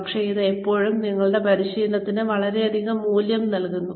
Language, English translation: Malayalam, But, it always adds a lot of value, to your training